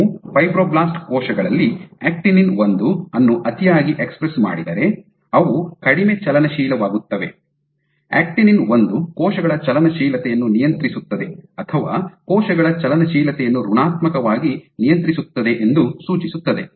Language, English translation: Kannada, So, if you overexpress alpha actinin 1 in fibroblast cells become less motile, suggesting that alpha actinin 1 regulates cell motility or negatively regulate cell motility